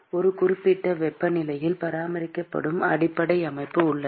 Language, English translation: Tamil, There is a base system which is maintained at a certain temperature